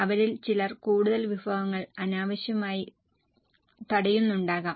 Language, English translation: Malayalam, Some of them may be blocking more resources unnecessarily